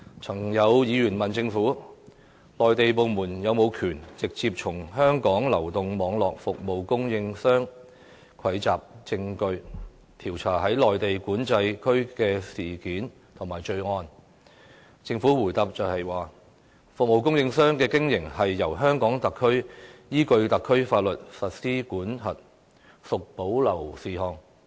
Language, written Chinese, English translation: Cantonese, 曾有議員問政府，內地部門是否有權直接從香港流動網絡服務供應商蒐集證據，調查在內地口岸區發生的案件或罪案，政府答覆說，服務供應商的經營由香港特區依據特區法律規管，屬保留事項。, A Member once asked the Government if Mainland authorities were empowered to collect evidence directly from the telecommunication service providers in Hong Kong in their investigation of cases or crimes that happen in the Mainland Port Area . According to the Government telecommunication service providers operating in Hong Kong is regulated by the SAR Government in accordance with the laws of the SAR and these are reserved matters